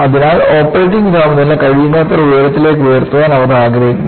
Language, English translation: Malayalam, So, they want to push the operating temperature as high as possible